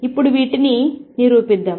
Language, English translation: Telugu, So, let us now prove these